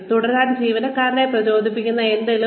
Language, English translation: Malayalam, Something that keeps motivating the employee, to keep going